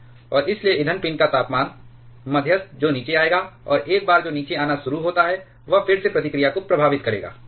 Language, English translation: Hindi, And hence the temperature of the fuel pin, the moderator that will come down, and once that starts to come down, that will affect the reactivity again